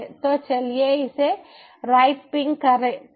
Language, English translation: Hindi, so lets see if we can ping